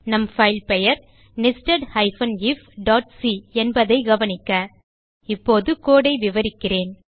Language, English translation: Tamil, Note that our file name is nested if.c Let me explain the code now